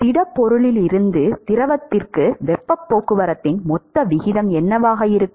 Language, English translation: Tamil, What will be the total rate of heat transport from the solid to the fluid